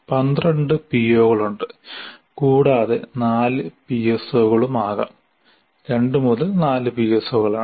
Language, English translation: Malayalam, There are 12 POs and there can be 4 PSOs